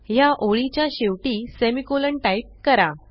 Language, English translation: Marathi, Let us type the semicolon here at the end of this line